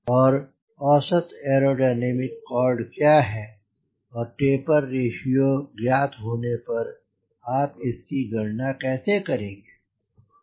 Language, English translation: Hindi, how to calculate min aerodynamic chord once we know the taper ratio, ok, now you are